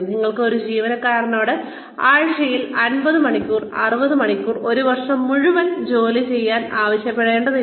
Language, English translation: Malayalam, You cannot, ask an employee to work for, say 50 hours, 60 hours a week, for a full year